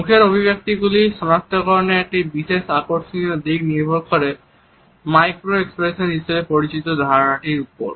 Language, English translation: Bengali, A particular interesting aspect of the recognition of facial expressions is based on our understanding of what is known as micro expressions